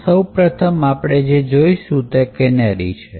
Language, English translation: Gujarati, So, the first thing we will look at is that of canaries